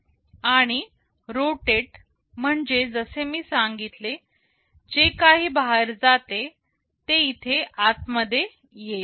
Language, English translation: Marathi, And, rotate as I said whatever goes out will be getting inside here